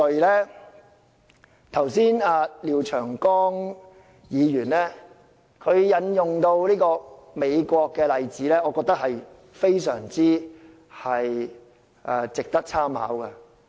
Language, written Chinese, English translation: Cantonese, 剛才廖長江議員引用美國的例子，我認為非常值得參考。, A moment ago Mr Martin LIAO quoted some examples from the United States which I think we should make reference to